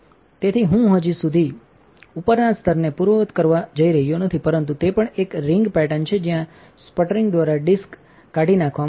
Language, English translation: Gujarati, So, I am not going to undo the top layer just yet, but also that there is a ring pattern where the disk has been eroded by the sputtering